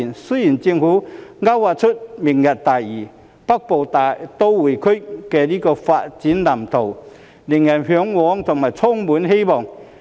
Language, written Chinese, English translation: Cantonese, 雖然政府勾劃出"明日大嶼"、"北部都會區"的發展藍圖，令人嚮往和充滿希望。, Although the Government has delineated the development blueprints for the Lantau Tomorrow Vision and the Northern Metropolis to the peoples yearning and aspirations yet distant water cannot put out a nearby fire